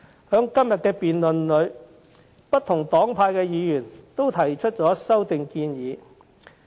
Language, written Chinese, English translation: Cantonese, 在今天的議案辯論中，不同黨派的議員均提出修正案。, In this motion debate today Members from different political parties and groupings have proposed amendments to the motion